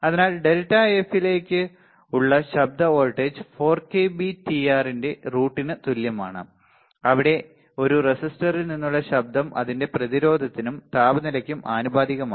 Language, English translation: Malayalam, So, noise voltage is equal to under root of 4 k B T R into delta F, where the noise from a resistor is proportional to its resistance and the temperature